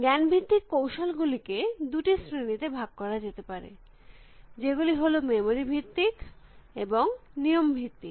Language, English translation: Bengali, The knowledge base techniques themselves could be classified into two kinds, which is memory based and rule based